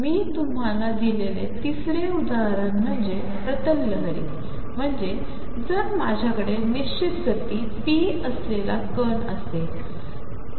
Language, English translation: Marathi, Third example I gave you was that of a plane wave, that is if I have a particle with fixed momentum p